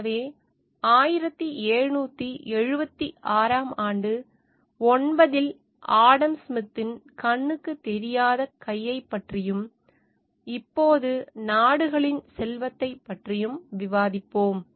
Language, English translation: Tamil, So, now we will discuss about the invisible hand Adam Smith in nine 1776 in the discussed about the wealth of nations